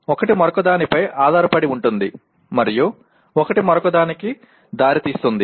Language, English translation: Telugu, One is dependent on the other and one can lead to the other and so on